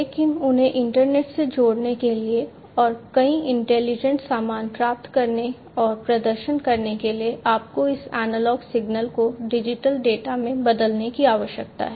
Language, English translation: Hindi, And to get and to perform multiple you know intelligent stuff you need to convert this analog signal into digital data, right